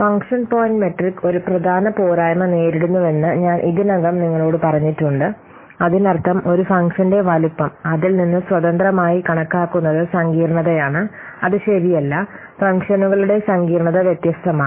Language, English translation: Malayalam, So I have already told you that function point matrix suffers from a major drawback, that means the size of a function is considered to be independent of its complexity, which is not true